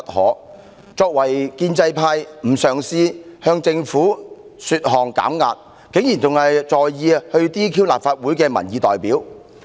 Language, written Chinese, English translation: Cantonese, 他們作為建制派成員，非但不嘗試遊說政府為社會減壓，竟還着手除去立法會的民意代表。, As members of the pro - establishment camp they have not tried to persuade the Government to de - escalate the tension in society but take action to dismiss the person who is the representative of public opinion from the Legislative Council